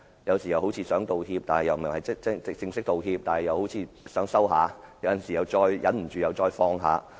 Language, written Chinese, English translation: Cantonese, 有時他似乎想道歉，但卻沒有正式道歉；他好像想稍作收斂，但過後又忍不住再次放話。, At times it seemed that he wanted to apologize but he did not do so formally . He seemed to try toning down slightly but could not restrain from speaking out subsequently